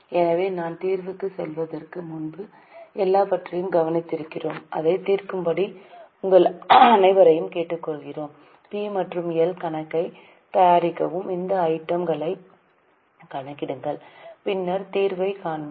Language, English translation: Tamil, Before I go to the the solution I will request all of you to solve it, prepare P&L account, also calculate these items and then we will see the solution